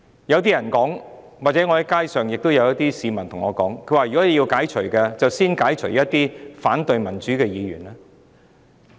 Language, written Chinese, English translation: Cantonese, 有市民曾向我表達，若要解除議員職務，應該先解除那些反對民主的議員的職務。, Some members of the public have told me that if there was really a need to relieve someone of hisher duties as a Member of the Legislative Council Members opposing to democratic ideas should be relieved first